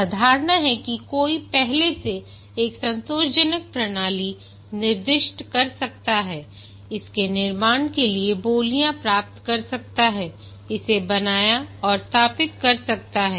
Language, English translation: Hindi, The assumption that one can specify a satisfactory system in advance, get beads for its construction, have it built and install it